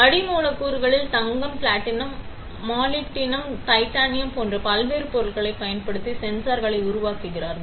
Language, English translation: Tamil, On the substrates you make the sensors using different materials, like gold, platinum, molybdenum, titanium lot of materials are there which you can use to take these devices